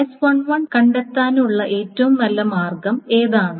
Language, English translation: Malayalam, So how do you find out what is the best way of doing S1